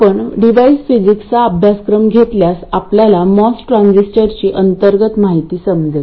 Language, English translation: Marathi, If you take courses in device physics you will understand the internal details of a MOS transistor